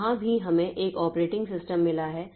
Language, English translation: Hindi, So, that defines what is an operating system